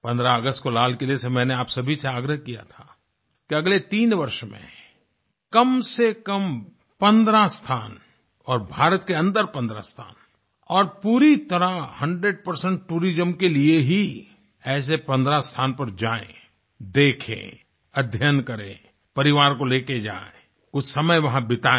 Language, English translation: Hindi, On 15th August, I urged all of you from the ramparts of the Red Fort to visit at least 15 places within a span of the next 3 years, 15 places within India and for 100% tourism, visit these 15 sites